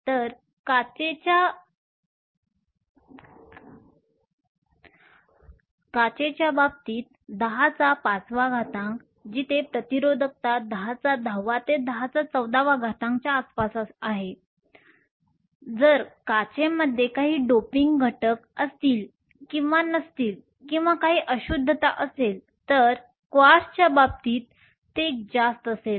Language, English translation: Marathi, So, 10 to the 5 in the clays of glass where resistivity is around 10 to the 10, 10 to the 14 depending upon if you have some doping agents in glass or not or some impurities, in case of Quartz its even higher